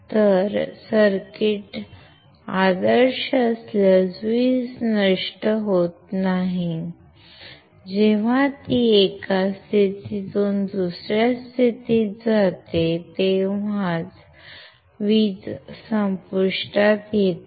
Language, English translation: Marathi, So, power is not dissipated if circuit is ideal, only when it switches from one state to another state the power is dissipated